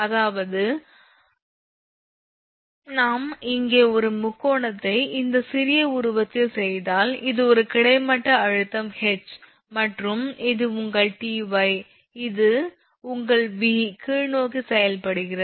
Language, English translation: Tamil, So, if we; that means, this if we make a triangle here in this figure small figure that this is a horizontal tension H and this is your Ty that your this this V is acting downwards right